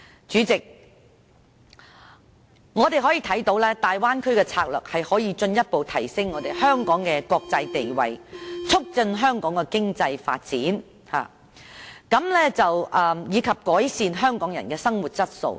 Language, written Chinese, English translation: Cantonese, 主席，我們看到大灣區的策略可以進一步提升香港的國際地位，促進香港的經濟發展，以及改善香港人的生活質素。, President we can see that the Bay Area strategy can further enhance Hong Kongs international status foster Hong Kongs economic development and improve the living quality of Hong Kong people